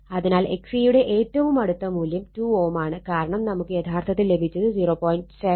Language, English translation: Malayalam, So, the closest value of x C is 2 ohm right, because we will got actually what you call, it is 0